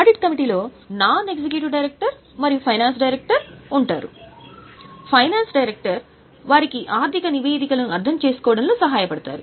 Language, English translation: Telugu, So, audit committee consists of non executive director and a finance director because finance director is supposed to help them in understanding the financial statements